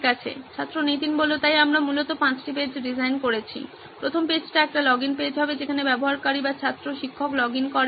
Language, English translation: Bengali, So we essentially designed five pages, the first page would be a login page where the user, student or teachers logs in